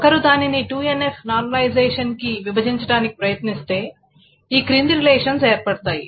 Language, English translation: Telugu, So if one attempts to break it up into 2NF normalization, the following relations can be produced